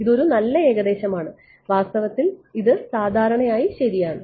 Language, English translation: Malayalam, It is a good approximation, in fact it is commonly done ok